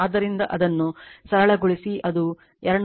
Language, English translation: Kannada, It will become 297